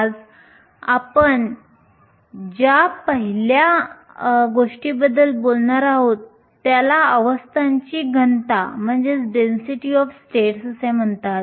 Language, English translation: Marathi, The first thing we are going to talk about today is called density of states